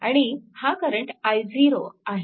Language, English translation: Marathi, So, i 1 will be 0